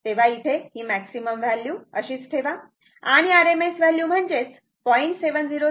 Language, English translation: Marathi, So, maximum value and rms the maximum value keep it as maximum value and rms value is equal to 0